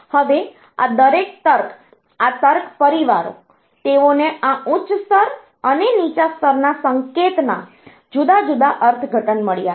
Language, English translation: Gujarati, Now, each of these logic, this logic families, they have got different interpretations of this high level and low level of signal